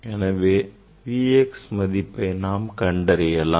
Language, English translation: Tamil, that V x we have to find out